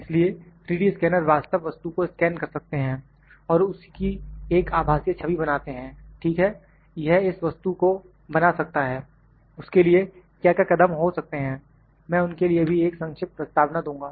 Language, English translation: Hindi, So, 3D scanner can scan the real object and produced a virtual image of that, ok, it can produce this object, how it what are the steps for that I will just give a brief introduction to them as well